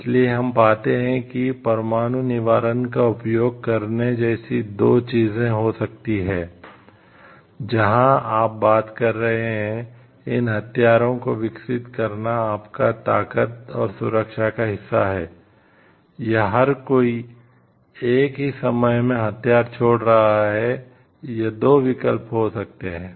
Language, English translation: Hindi, So, this we find then there could be two things like use nuclear deterrence, where you are taking developing this weapons is a part of your strength and, security or everybody is giving up the weapon at the same time this could be the two options